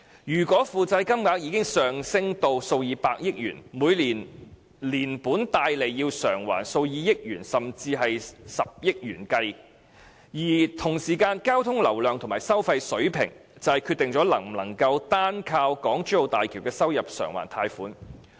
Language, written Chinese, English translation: Cantonese, 如果負債金額已上升至數以百億元，每年連本帶利要償還數以億元甚至十億元計；而與此同時，交通流量及收費水平則決定能否單靠港珠澳大橋的收入償還貸款。, If the debts have already accumulated to tens of billions of RMB the yearly amount of debt and interest repayment will be in the order of hundreds of millions or even billions of RMB . On the other hand the traffic flow volume and the toll levels will determine whether the loans can be repaid from the revenue of HZMB